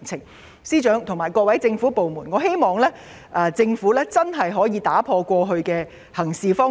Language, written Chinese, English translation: Cantonese, 我希望司長和各個政府部門能夠打破過去的行事方式。, I hope that FS and the various government departments will break away from established practices